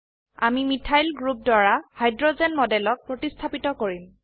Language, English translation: Assamese, We will substitute the hydrogen in the model with a methyl group